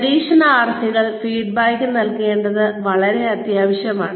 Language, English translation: Malayalam, It is very essential to give, feedback to the trainees